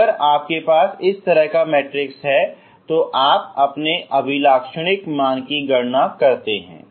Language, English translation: Hindi, If you have such a matrix if you calculate its Eigen values ok